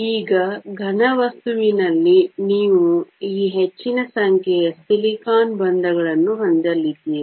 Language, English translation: Kannada, Now, in a solid you are going to have large number of these silicon bonds